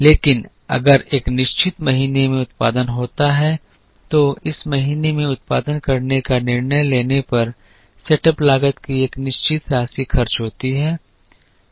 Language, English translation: Hindi, But if there is a production in a certain month a certain amount of setup cost is incurred if we decide to produce in this month